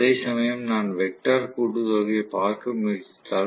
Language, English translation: Tamil, Whereas, if I try to look at the vectorial sum